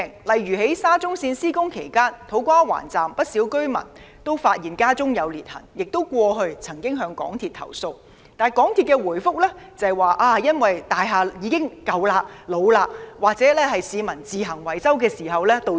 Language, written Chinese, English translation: Cantonese, 例如，在沙中線項目施工期間，土瓜灣站工地附近的不少居民均發現所居單位出現裂痕，過去他們亦曾向港鐵公司投訴，但港鐵公司的回覆卻指裂痕是因為大廈陳舊老化或市民自行維修導致。, For example during the construction of the SCL Project many residents in the vicinity of the construction site of the To Kwa Wan Station discovered cracks in their housing units . They made complaints to MTRCL but were given the reply that the cracks were results of ageing of the buildings or repairs carried by residents on their own